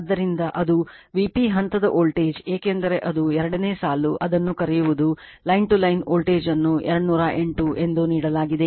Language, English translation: Kannada, So, that is your V P phase voltage because it is line 2 , is your what you call that, your line to Line voltage is given, 208